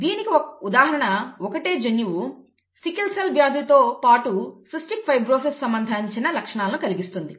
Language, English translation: Telugu, An example is from this the same gene causes symptoms associated with sickle cell disease as well as cystic fibrosis, okay